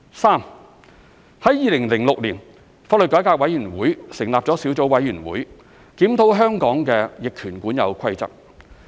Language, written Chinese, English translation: Cantonese, 三2006年，香港法律改革委員會成立小組委員會，檢討香港的逆權管有規則。, 3 In 2006 the Law Reform Commission LRC appointed a Sub - committee to review the rule of adverse possession in Hong Kong